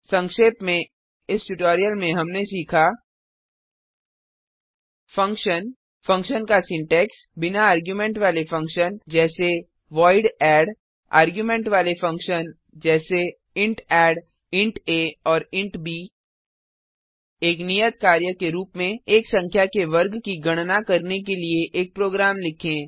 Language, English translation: Hindi, To summarise, in this tutorial we have learnt Function Syntax of function Function without arguments Eg void add() Function with arguments Eg int add As an assignment Write a program to calculate the square of a number